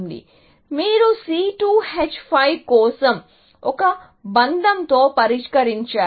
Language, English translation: Telugu, So, you solved for C2 H5 with a bond